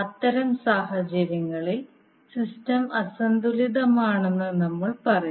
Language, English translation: Malayalam, So in that case, we will say that the system is unbalanced